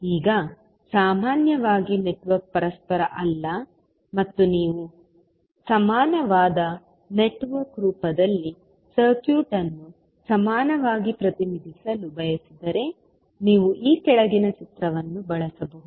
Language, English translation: Kannada, Now, in general if the network is not reciprocal and you want to represent the circuit in equivalent in the form of equivalent network you can use the following figure